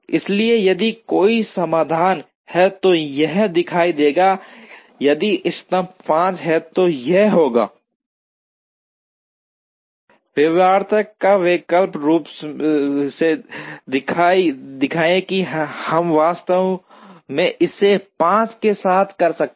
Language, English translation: Hindi, So, that if there is a solution it will show, if the optimum is 5 then it will show in feasibility or alternatively we could actually do it with 5